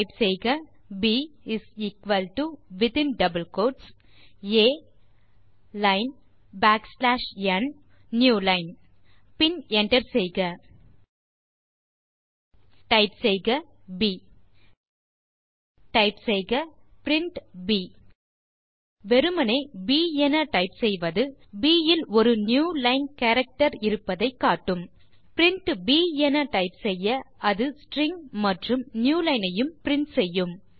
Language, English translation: Tamil, Type b = within double quotes A line backslash n New line and hit enter Type b Type print b As you can see, just typing b shows that b contains a newline character but While typing print b,it prints the string and hence the newline